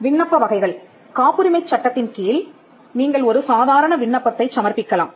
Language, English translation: Tamil, Types of applications; under the Patents Act, you can make an ordinary application